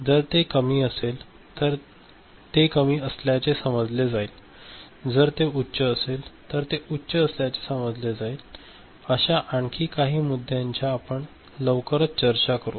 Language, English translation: Marathi, So, if it is low then it is sensed as low, if it is high it is sensed as high, there are some more issues we shall shortly discuss